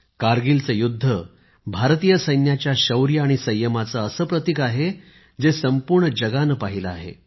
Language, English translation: Marathi, The Kargil war is one symbol of the bravery and patience on part of India's Armed Forces which the whole world has watched